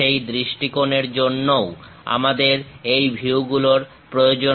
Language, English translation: Bengali, For that point of view also we require these views